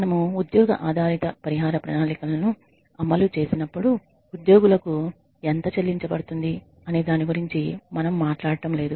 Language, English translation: Telugu, And when we talk about when we implement job based compensation plans we are not talking about the perception of the employees regarding how much they should get paid